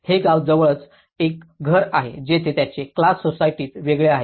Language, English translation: Marathi, This is a house nearby a village where they have different class societies